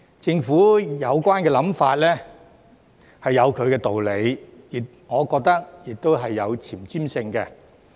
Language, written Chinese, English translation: Cantonese, 政府的有關想法是有其道理，我亦覺得是有前瞻性的。, The Governments idea has its own merit and is in my opinion forward - looking as well